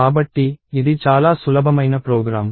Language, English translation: Telugu, So, this is a fairly simple program